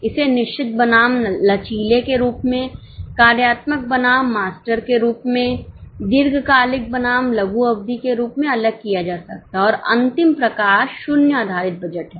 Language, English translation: Hindi, It can be segregated as fixed versus flexible, functional versus master, long term versus short term and the last type is zero base budget